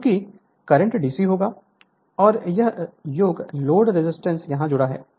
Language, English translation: Hindi, Since the current will be DC, and that is the sum load resistance is connected here right